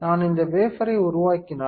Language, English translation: Tamil, If I develop this wafer right